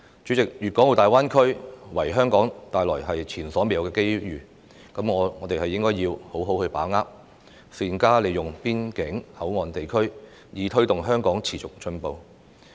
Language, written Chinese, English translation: Cantonese, 主席，粤港澳大灣區為香港帶來前所未有的機會，我們必須好好把握，善用邊境口岸地區，推動香港持續進步。, President GBA has presented Hong Kong with unprecedented opportunities . We must seize these opportunities and make good use of the border areas to promote continuous progress in Hong Kong